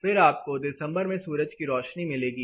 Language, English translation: Hindi, So, you will be getting sunlight during December